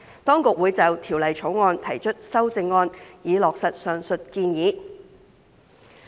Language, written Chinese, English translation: Cantonese, 當局會就《條例草案》提出修正案，以落實上述建議。, The Government will propose amendments to the Bill in order to implement the aforesaid proposals